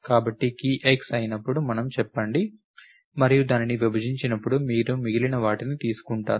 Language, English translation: Telugu, So, it means when the key is x let us say and you taking the remainder when it is divided by 10, it goes into an array